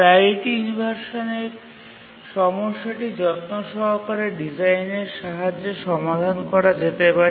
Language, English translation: Bengali, We can solve the priority inversion problem with careful design